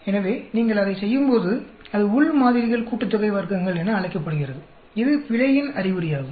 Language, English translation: Tamil, So, when you do that, that is called within samples sum of squares, this is an indication of error